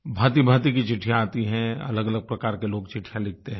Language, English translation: Hindi, I get a variety of letters, written by all sorts of people